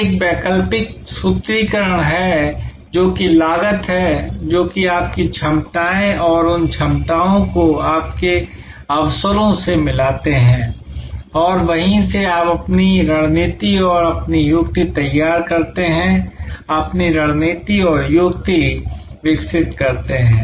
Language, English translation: Hindi, Now, there is an alternative formulation which is COST that is what are your capabilities and match those capabilities to your opportunities and from there you devolve your strategy and your tactics, evolve your strategy and tactics